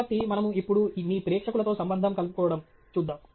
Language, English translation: Telugu, So, we will now look at connecting with your audience